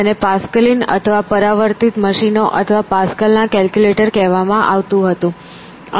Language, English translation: Gujarati, It was called Pascalin or reflecting machines or Pascal's calculator